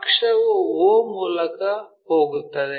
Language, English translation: Kannada, Axis, axis goes all the way through o